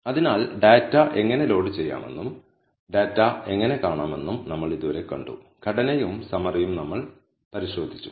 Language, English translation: Malayalam, So, till now we have seen how to load the data, how to view the data, We have also looked at the structure and the summary